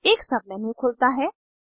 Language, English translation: Hindi, A sub menu opens